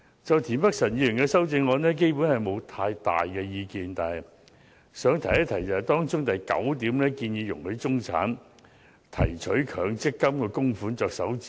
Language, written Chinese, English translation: Cantonese, 就田北辰議員的修正案，我基本上沒有太大意見，但想一提當中的第九點，即容許中產提取強積金供款作首次置業之用。, As for Mr Michael TIENs amendment basically I do not have very strong views but I would like to say a few words about paragraph 9 which allows the middle class to withdraw the contributions from the Mandatory Provident Fund MPF scheme for purchasing their first property